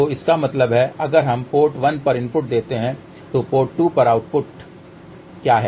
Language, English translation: Hindi, So that means, if we give a input at port 1 what is the output AD port 2